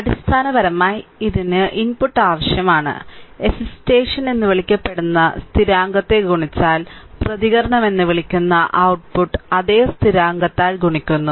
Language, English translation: Malayalam, So, basically it requires that if the input that is called the excitation is multiplied by the constant, then the output it is called the response is multiplied by the same constant